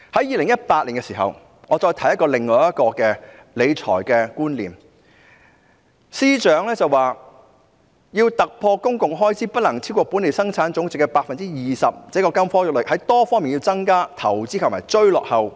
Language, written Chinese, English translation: Cantonese, 2018年，我聽到另一個理財觀念，司長說要突破公共開支不能超過本地生產總值 20% 的金科玉律，要在多方面增加投資和追落後。, In 2018 I heard another financial concept . The Financial Secretary said that in order to break the golden rule of capping public expenditure at 20 % of GDP it was important to increase investment and catch up on all fronts